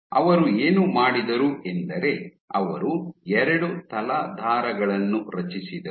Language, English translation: Kannada, What he did was he created 2 substrates